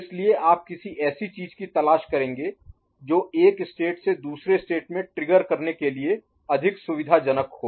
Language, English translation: Hindi, So, you would look for something which is more convenient to trigger from one particular state to another